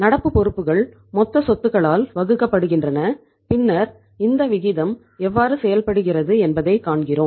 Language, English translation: Tamil, Current liabilities divided by the total assets and then we see that how this ratio works out